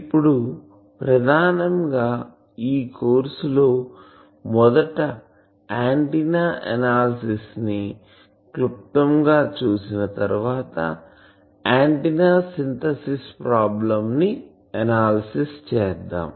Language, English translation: Telugu, Now mainly in this course we will be first do the analysis there after we will touch briefly the synthesis problem